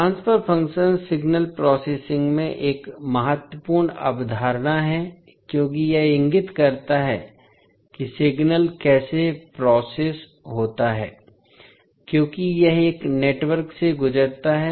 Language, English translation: Hindi, Transfer function is a key concept in signal processing because it indicates how a signal is processed as it passes through a network